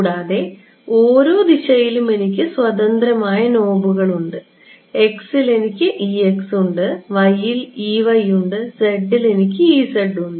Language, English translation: Malayalam, Further you can see that in each direction, I have independent knobs, in x I have e x, in y I have e y, in z I have e z right